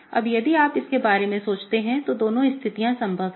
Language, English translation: Hindi, Now, if you think about it, either of these two situations are possible